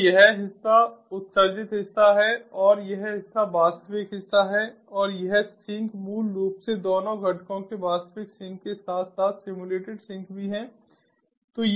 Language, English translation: Hindi, so this part is the emulated part and this part is the real part and this one, the sink, basically has to both the components, the real sink as well as the simulated sink